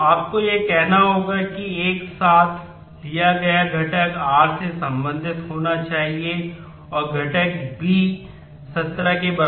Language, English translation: Hindi, So, you have to say component taken together must belong to r and the component b must be equal to 17